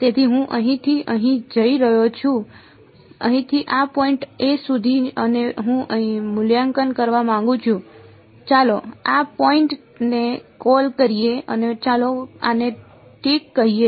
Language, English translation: Gujarati, So, I am going from here to here from this point over here to this point over here and I want to evaluate let us call this point a and let us call this b ok